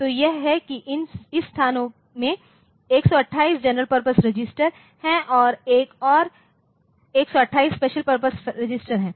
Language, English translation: Hindi, So, that is 128 there are 128 general purpose registers in this location and there is another 128 special function registers